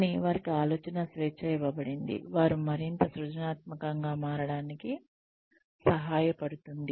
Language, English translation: Telugu, But, the fact they are given freedom of thought, helps them become more creative